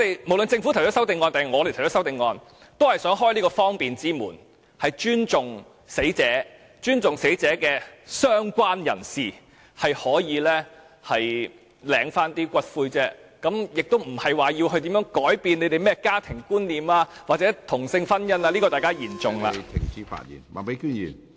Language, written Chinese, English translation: Cantonese, 無論是政府或議員提出修正案，也是想開方便之門，尊重死者，亦尊重死者的相關人士，讓他們可以領回骨灰，而不是要改變大家對家庭或同性婚姻的觀念，這點大家言重了......, The CSA either proposed by the Government or by Members serves to facilitate the arrangement; respect the deceased and the related persons of the deceased person so that the latter can claim for the return of ashes . The purpose is not to change peoples concept of families or same - sex marriage and I think Members who think so have exaggerated the matter